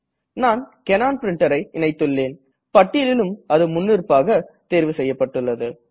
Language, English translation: Tamil, Since, I have a Canon Printer, here in this list, it is selected by default